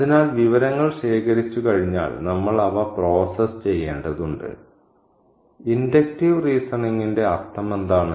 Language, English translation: Malayalam, So, we need to process the information once they have been collected and what is the meaning of inductive reasoning